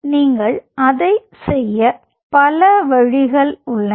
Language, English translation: Tamil, so there are multiple ways by which you can do it